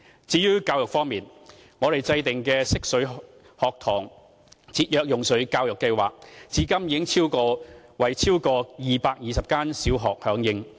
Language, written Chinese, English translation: Cantonese, 至於教育方面，我們制訂的"惜水學堂"節約用水教育計劃，至今已有超過220間小學參與。, In the area of education our Cherish Water Campus Education Programme on Water Conservation has more than 220 primary schools as participants